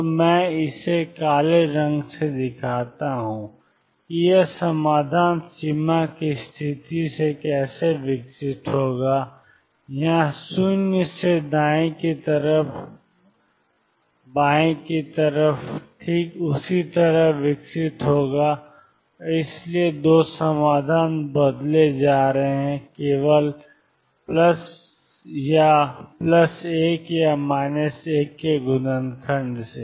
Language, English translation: Hindi, So, let me show this in black the way this solution would evolve from a boundary condition, here 0 to the right hand side would evolve exactly in the same way on the left hand side and therefore, the 2 solutions are going to be changed by only by a factor of plus or minus 1